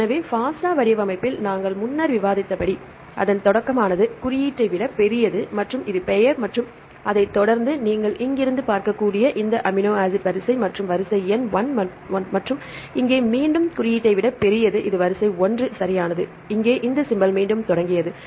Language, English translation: Tamil, So, as we discussed earlier in the FASTA format its start with the greater than symbol and this is the name and followed by the sequence you can see from here to here this amino acid sequence, sequence number 1 and here again the greater than symbol started this is sequence 1 right and here this symbol started again